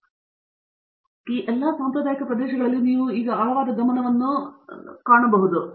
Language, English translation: Kannada, So, in all these traditional areas you are now beginning to see like deeper focus